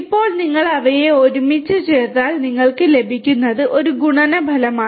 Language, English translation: Malayalam, Now, if you put them together, what you get is a multiplicative effect